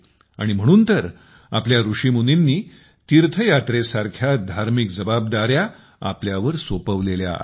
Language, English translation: Marathi, That is why our sages and saints had entrusted us with spiritual responsibilities like pilgrimage